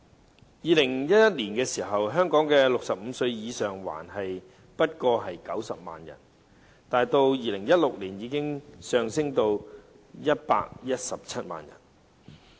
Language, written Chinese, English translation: Cantonese, 在2011年，香港65歲或以上的人口只有90萬，到2016年已上升至117萬。, The number of elderly people living in poverty has increased instead of decreasing . In 2011 the population aged 65 or above in Hong Kong was only 900 000 . In 2016 it rose to 1.17 million